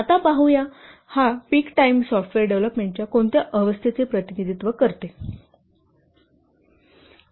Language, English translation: Marathi, Now let's see this peak time represents which phase of software development